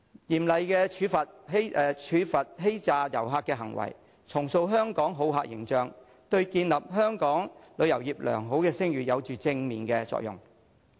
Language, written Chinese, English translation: Cantonese, 嚴厲處罰欺詐旅客的行為，重塑香港好客形象，對建立香港旅遊業的良好聲譽有正面作用。, Imposing severe punishment on acts of deceiving visitors and restoring Hong Kongs hospitable image are conducive to building a good reputation for the tourism industry of Hong Kong